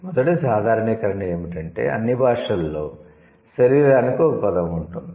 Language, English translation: Telugu, The first generalization is that all languages have a word for body, right